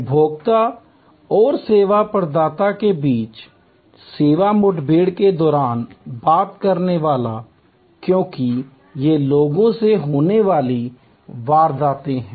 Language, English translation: Hindi, The talker during the service encounter between the consumer in the service provider, because these are people to people happenings